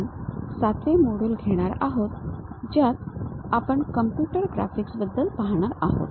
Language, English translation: Marathi, We are covering module number 7 which is about Computer Graphics